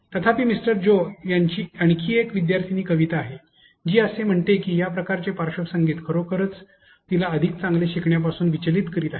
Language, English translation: Marathi, However, Kavita is another student of Mister Joe, who says that this sort of background music is actually distracting her from learning better